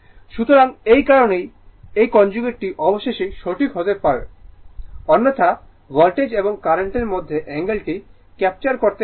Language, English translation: Bengali, So, that is why this conjugate is must right otherwise you cannot capture the angle between the voltage and current